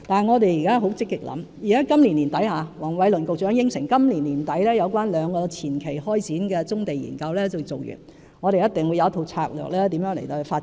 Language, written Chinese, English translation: Cantonese, 我們現正積極想辦法，黃偉綸局長亦已承諾，今年年底將會完成兩個前期開展的棕地研究，我們一定會有一套發展棕地的策略。, We are proactively doing so . As Secretary Michael WONG has pledged with the completion of two preliminary studies on brownfield sites by the end of this year we will formulate a strategy on development of brownfield sites